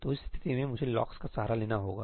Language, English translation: Hindi, So, in that case, I need to resort to locks